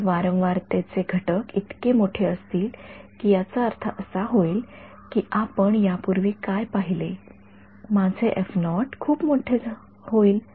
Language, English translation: Marathi, If the frequency components are so large that I will I mean what we just saw previously, my f naught becomes very large